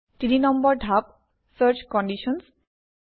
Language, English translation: Assamese, Step 3 Search Conditions